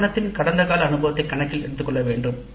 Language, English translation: Tamil, The past experience of the institute needs to be taken into account